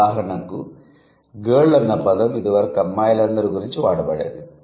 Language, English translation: Telugu, For example, girl used to include all the women